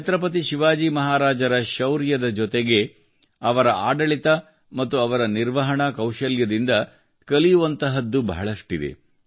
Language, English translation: Kannada, Along with the bravery of Chhatrapati Shivaji Maharaj, there is a lot to learn from his governance and management skills